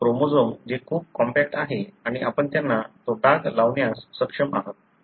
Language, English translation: Marathi, The chromosome that is very, very compact and you are able to stain them